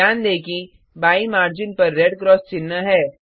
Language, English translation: Hindi, Notice that , there is a red cross mark on the left margin